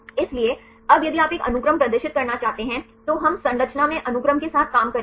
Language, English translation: Hindi, So, now if you want to display a sequence now we would dealing with the sequence in the structure